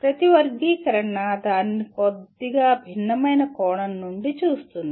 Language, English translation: Telugu, Each taxonomy will look at it from a slightly different perspective